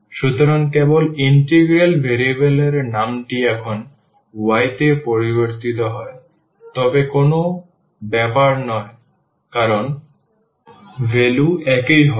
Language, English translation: Bengali, So, just the integral variable changes name to y now, but does not matter the value will be the same